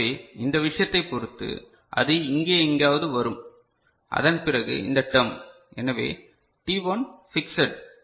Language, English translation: Tamil, So depending on this thing, it will come somewhere here and after that this term; so, t1 is fixed right